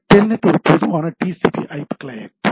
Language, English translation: Tamil, Telnet is a generic TCP/IP client right